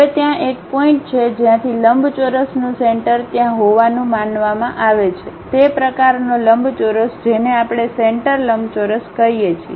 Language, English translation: Gujarati, Now, there is one point from where the center of the rectangle supposed to be there, that kind of rectangle what we are calling center rectangle